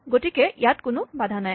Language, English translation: Assamese, So, there are no constraints